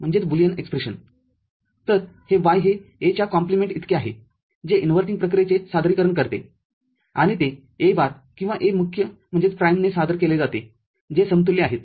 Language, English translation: Marathi, So, this is Y is equal to A compliment which represents inverting operation and it is represented through A bar or A prime both are equivalent